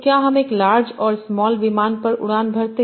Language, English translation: Hindi, So would I be flying on a larger small plane